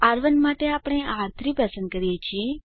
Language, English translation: Gujarati, For R1 we choose R3